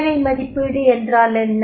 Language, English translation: Tamil, What is job evaluation